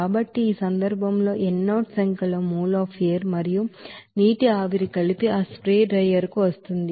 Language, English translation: Telugu, So in this case let n0 number of mol of air and water vapor combined is coming to that spray drier